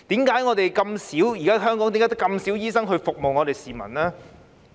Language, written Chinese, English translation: Cantonese, 為何香港現時只有這麼少醫生服務市民呢？, Why are there only so few doctors serving the people in Hong Kong at present?